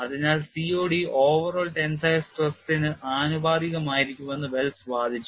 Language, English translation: Malayalam, So, Wells argued that COD will be directly proportional to overall tensile strain